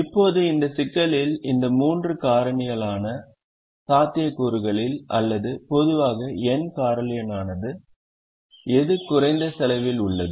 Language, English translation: Tamil, now, among these three factorial possibilities in this problem, or n factorial in general, which one has the least cost